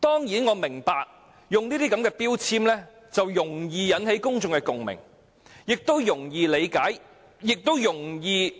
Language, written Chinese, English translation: Cantonese, 我明白這些標籤容易引起公眾共鳴，挑起憎恨，因為"假"字代表欺騙。, I understand such labels will easily strike a chord with the public and provoke hatred as the word bogus represents deceit